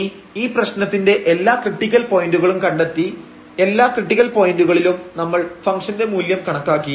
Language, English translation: Malayalam, So, we will find all these critical points and find the values of the function at all these points